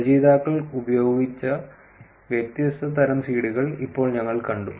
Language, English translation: Malayalam, Now that we have seen the different types of seeds that the authors used